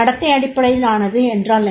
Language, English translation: Tamil, What is the behavior based